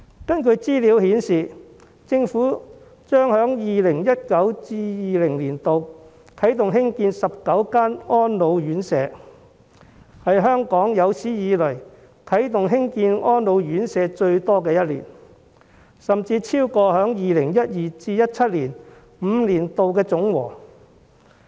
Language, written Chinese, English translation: Cantonese, 根據資料顯示，政府將在 2019-2020 年度啟動興建19間安老院舍，是香港有史以來啟動興建最多安老院舍的一年，數目甚至超過2012年至2017年5年的總和。, Information shows that the Government will commence the construction of 19 residential care homes for the elderly RCHEs in 2019 - 2020 . It is the largest number of RCHEs construction in a year in Hong Kong history . The number even exceeds the five - year total in 2012 to 2017